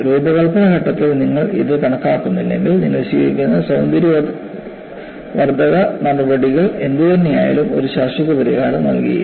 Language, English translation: Malayalam, If you do not account for this at the design phase, whatever the cosmetic steps that you take, will not yield a permanent solution